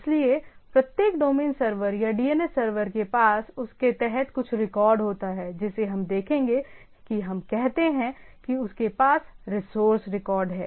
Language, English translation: Hindi, So, every domain server or the DNS server have some record of what it is under that right, that we will see that we call that it has a resource record